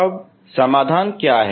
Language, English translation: Hindi, So what are the solutions